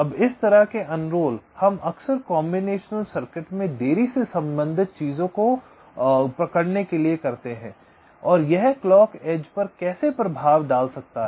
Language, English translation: Hindi, ok, now, this kind of unrolling we often do in order to capture the delay rated things in the combinational circuits and how it can effect across clock citrus